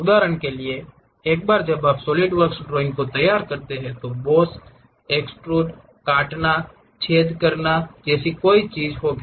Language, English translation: Hindi, For example, once you prepare this Solidworks drawing, there will be something like boss, extrude, cut, hole kind of thing